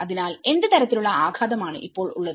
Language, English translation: Malayalam, Now, what kind of impact